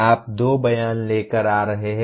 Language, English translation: Hindi, You are coming with two statements